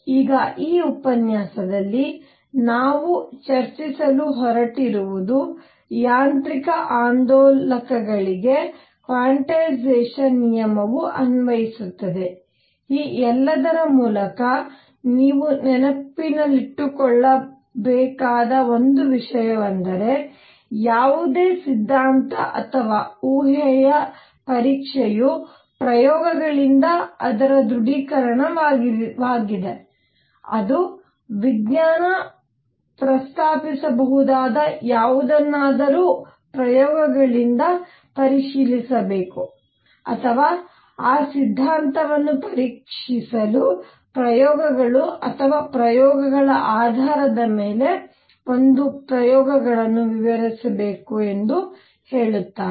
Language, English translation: Kannada, Now, in this lecture, what we are going to discuss is that the quantization rule applies to mechanical oscillators, also one thing you must keep in mind through all this is that test of any theory or hypothesis is its confirmation by experiments that is what science says whatever I can propose should be verifiable by experiments or must explain an experiment and experiments based on the experiments or experiments to do that check that theory